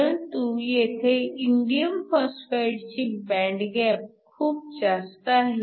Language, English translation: Marathi, Indium phosphide has a higher band gap 1